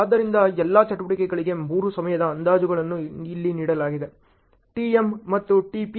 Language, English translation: Kannada, So, the three time estimates for all the activities are given here as to, tm and tp